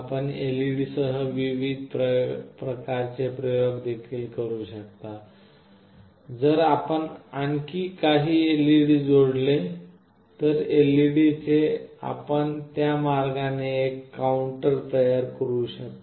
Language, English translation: Marathi, You can also make different various kinds of experiments with LED, with few more LED’s if you connect, you can make a counter that way